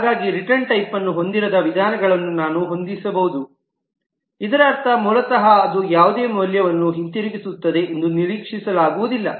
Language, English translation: Kannada, So I may have a method which does not have a return type, which basically means that it is not expected to return any value